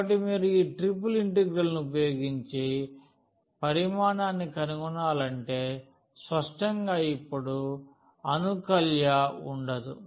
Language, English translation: Telugu, So, the volume if you want to find using this triple integral so; obviously, there will be no integrand now